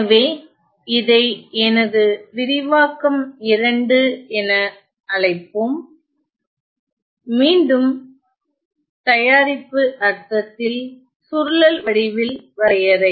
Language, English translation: Tamil, So, then let us take let me call this as my expression 2, again the definition in the product sense in the in the convolution sense